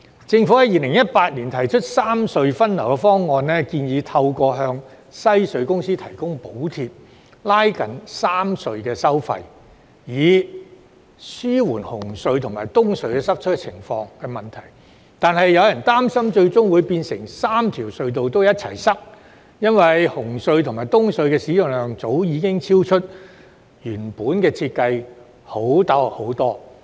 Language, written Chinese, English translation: Cantonese, 政府在2018年提出三隧分流方案，建議透過向香港西區隧道有限公司提供補貼．拉近3條隧道的收費，以紓緩紅隧及東區海底隧道的塞車問題，但有人擔心最終會變成3條隧道同時出現擠塞，因為紅隧及東隧的使用量早已遠遠超出原來的設計容量。, In 2018 the Government put forward a proposal for traffic rationalization among the three harbour crossings . It proposed alleviating the congestion problem at CHT and the Eastern Harbour Crossing EHC by narrowing the toll difference among the three harbour crossings through the provision of subsidies to the Western Harbour Tunnel Company Limited . However some people worried that this might end up leading to traffic congestion at all three harbour crossings because the usage of CHT and EHC has far exceeded their original design capacities long since